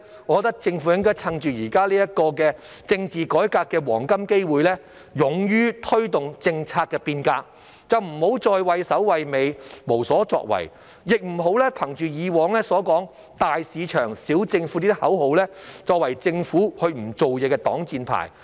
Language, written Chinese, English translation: Cantonese, 我認為政府應該趁現時政治改革的黃金機會，勇於推動政策變革，不要再畏首畏尾，無所作為，亦不要憑藉過往倡議的"大市場，小政府"這個口號作為政府不做事的擋箭牌。, In my view it should seize this golden opportunity for political reform to audaciously promote policy changes . It should no longer hesitate and do nothing nor use the slogan of big market small government advocated in the past as an excuse for its inaction